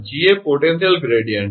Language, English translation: Gujarati, Ga potential gradient